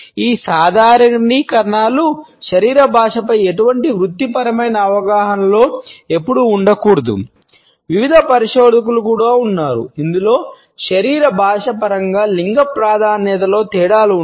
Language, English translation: Telugu, These generalizations should never be a part of any professional understanding of body language there have been various researchers also in which differences in gender preferences in terms of body language have been committed on